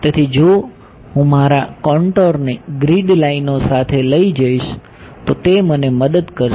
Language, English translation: Gujarati, So, if I take my contour to be along the grid lines will it help me